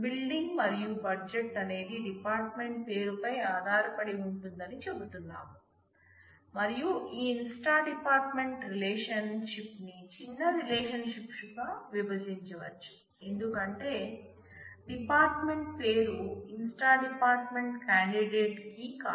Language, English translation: Telugu, We say that the building and budget is functionally dependent on the department name and that is a situation where we can split this inst dept and create a smaller relationship because department name is not a candidate key in the inst dept